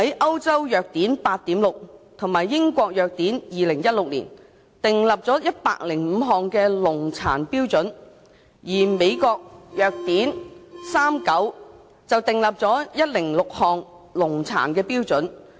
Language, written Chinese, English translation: Cantonese, 《歐洲藥典 8.6》及《英國藥典2016》訂立了105項的農藥殘留量標準，而《美國藥典39》則訂立了106項農業殘留量標準。, The European Pharmacopoeia 8.6 and the British Pharmacopoeia 2016 have set residue limits for 105 pesticides whereas the United States Pharmacopoeia 39 has set residue limits for 106 pesticides